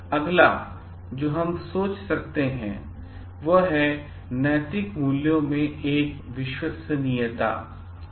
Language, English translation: Hindi, Next what we can think of is one of the ethical values are reliability